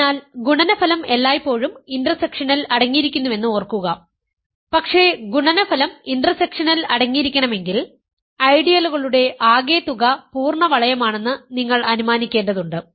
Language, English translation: Malayalam, So, just remember that product is always contained in the intersection, but for intersection to be contained in the product you need to assume that the sum of the ideals is the full ring